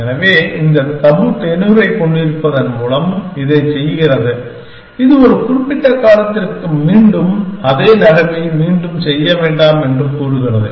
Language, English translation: Tamil, So, it does this by having this tabu tenure, which says that for a certain period of time do not make the same move again essentially